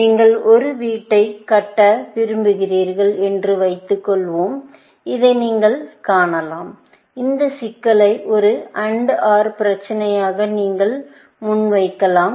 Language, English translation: Tamil, Suppose, you want to construct a house, you can see this also, you can pose this problem also, as an AND OR problem